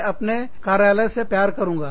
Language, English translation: Hindi, I will love my office